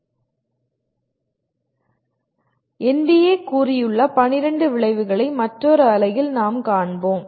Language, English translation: Tamil, We will see the 12 outcomes that have been stated by NBA in another unit